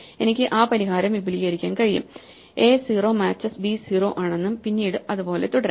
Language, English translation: Malayalam, I can extend that solution by saying a 0 match is b 0 and then whatever matches